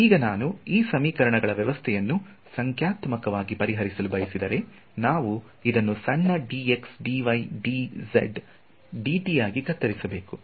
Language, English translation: Kannada, Now if I want to solve the system of this system of equations numerically as I said, we must do this chopping up into small dx dy dz dt